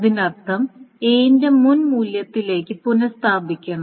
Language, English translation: Malayalam, That means A's must be restored to the previous value